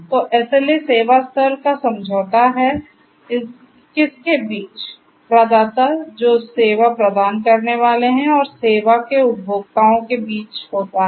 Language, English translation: Hindi, So, SLA is Service Level Agreement between whom, between the provider about what services are going to be provided and the consumers of the service